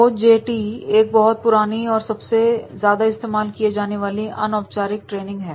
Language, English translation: Hindi, OJT is one of the oldest and most used types of the informal training